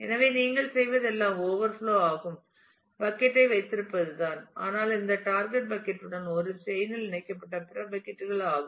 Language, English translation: Tamil, So, all that you do is to have overflow bucket which is nothing, but having other buckets connected to this target bucket in a chain